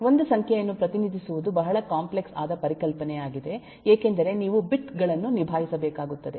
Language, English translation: Kannada, that representing a number itself is a very complex concept because you need to deal with bits